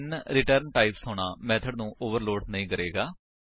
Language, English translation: Punjabi, Having different return types will not overload the method